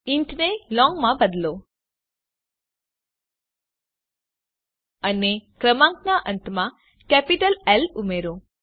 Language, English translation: Gujarati, Change int to long and add a capital L at the end of the number